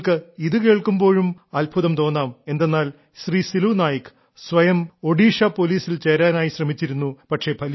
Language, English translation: Malayalam, By the way, you will also be amazed to know that Silu Nayak ji had himself tried to get recruited in Odisha Police but could not succeed